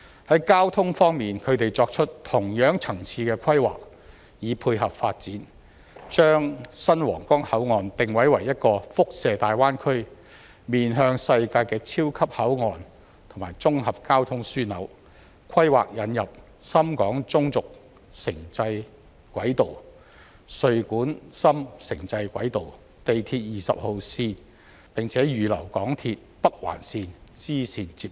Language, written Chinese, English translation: Cantonese, 在交通方面，他們作出同樣層次的規劃以配合發展，將新皇崗口岸定位為一個輻射大灣區、面向世界的超級口岸和綜合交通樞紐，規劃引入深廣中軸城際軌道、穗莞深城際軌道、地鐵20號線，並且預留港鐵北環綫支綫接入。, From the perspective of transport they have made planning of the same level on their part to tie in with the development so as to develop the new Huanggang Port into a super port and an integrated transport hub that radiates to the Greater Bay Area and connects with the world . Associated planning includes introducing the Guangzhou - Shenzhen Intercity Railway the Guangzhou - Dongguan - Shenzhen Intercity Railway and the Shenzhen Metro Line 20; and reserving places for connection with the bifurcation of the Northern Link of the MTR Corporation Limited